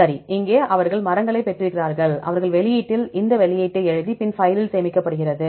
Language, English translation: Tamil, Okay with there are they got the trees and they wrote in this outtree this output we can see here right, file it is saved ok